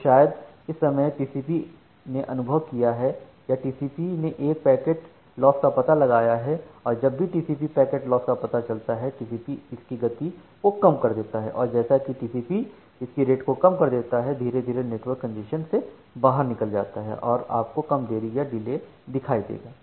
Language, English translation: Hindi, So, maybe at this point of time TCP has experienced or TCP has found out a packet loss, and whenever TCP has found out a packet loss, TCP has reduced it rate and as the TCP has reduced it rate, the congestion will slowly get out of the network, and you will see less delay